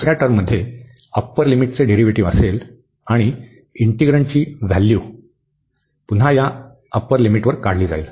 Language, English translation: Marathi, The second term will have the derivative of the upper limit, and the integrand will be evaluated again at this upper limit